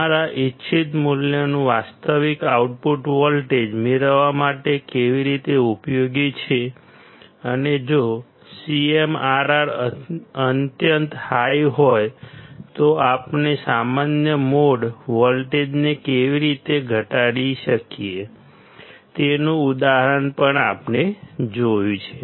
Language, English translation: Gujarati, How it is useful to get the actual output voltage of our desired value and how we can reduce the common mode voltage if the CMRR is extremely high; we have seen that example as well